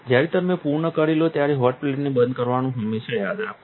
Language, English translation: Gujarati, Always remember to turn off the hot plate when you are done